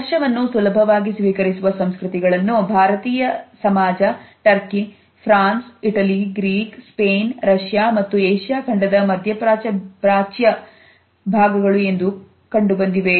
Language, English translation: Kannada, Cultures in which a touch is easily more accepted are considered to be the Indian society, the societies in turkey France Italy Greece Spain the Middle East parts of Asia as well as Russia